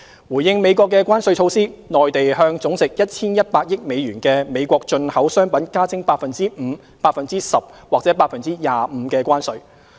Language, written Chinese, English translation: Cantonese, 回應美國的關稅措施，內地向總值 1,100 億美元的美國進口商品加徵 5%、10% 或 25% 的關稅。, In response the Mainland has imposed additional tariffs at 5 % 10 % or 25 % on US110 billion worth of the United States imports